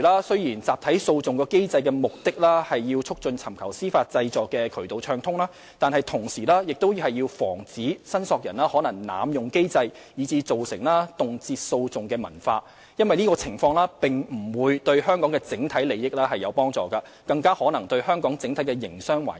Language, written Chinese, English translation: Cantonese, 雖然集體訴訟機制的目的旨在促進尋求司法濟助的渠道暢通，但同時亦要防止申索人可能濫用機制以致造成動輒訴訟的文化，因為這種情況無助於香港的整體利益，更可能損害香港整體營商環境。, Even though the objective of a class action mechanism is to promote access to judicial remedies it is also necessary to prevent possible abuse of the mechanism by claimants which will otherwise result in a culture of resorting to litigation easily for this will not be conducive to the overall interest of Hong Kong and worse still it may jeopardize the overall business environment in Hong Kong